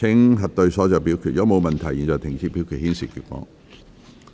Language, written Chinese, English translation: Cantonese, 如果沒有問題，現在停止表決，顯示結果。, If there are no queries voting shall now stop and the result will be displayed